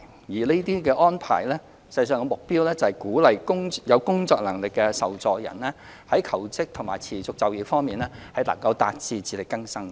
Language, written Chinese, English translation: Cantonese, 有關安排的目標，是鼓勵有工作能力的受助人求職和持續就業，達致自力更生。, The objective of the arrangement is to encourage recipients with capability to work to find jobs and remain in employment so as to move towards self - reliance